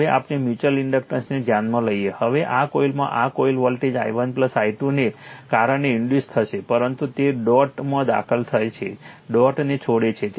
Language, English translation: Gujarati, Now let us consider the mutual inductance, now it will be this coil in this coil voltage will be induced due to i 1 plus i 2, but it is by entering the dot leaving the dot